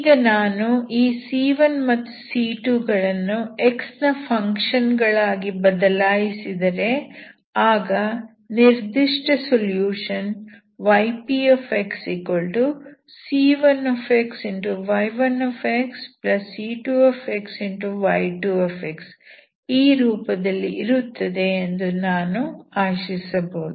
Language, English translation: Kannada, If I can vary this C1 and C2 as functions of x, I can hope my yP in this form, C1 x y1 x plus C2 x y2 x